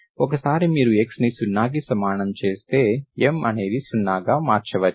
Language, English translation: Telugu, Once you put x is equal to 0, M may become 0